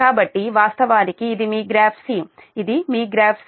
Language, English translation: Telugu, so this is your, this is your graph c